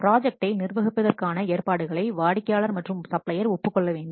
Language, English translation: Tamil, The arrangements for the management of the project must be agreed by the what client as well as the supplier